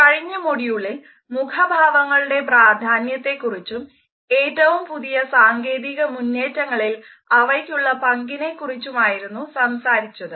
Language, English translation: Malayalam, In the previous module, we had seen the significance of facial expressions and how they are being linked with the latest technological developments